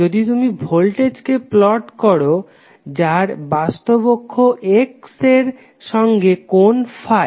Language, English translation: Bengali, If you plot voltage V, which will have some phase angle Phi with respect to real axis